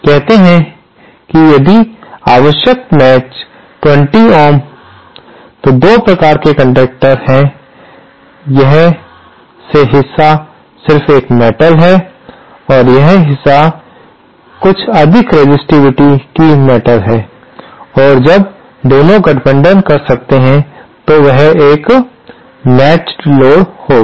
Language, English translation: Hindi, Say, if matching required is 50 ohms, then there are 2 kinds of conductors, this part is just a metal and this part is a material of higher resistivity and when both can combine, there will be a matched load